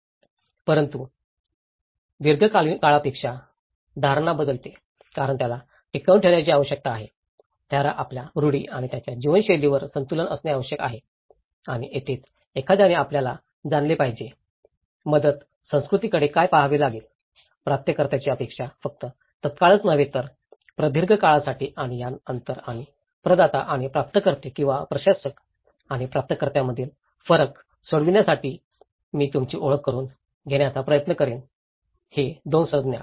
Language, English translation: Marathi, But in a longer run, the perception changes because he need to maintain, he need to have a balance on his customs and his way of life and that is where one has to look at you know, what the relief culture has to look at, what the recipient culture is expecting also not only in the immediate term but in a long run aspects and in order to address this gap and the differences between the providers and the recipients or the administrators and the recipients so, I will try to introduce you in this 2 terminologies